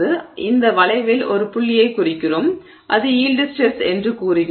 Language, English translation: Tamil, So, we just mark one point on this curve and we say that is the yield stress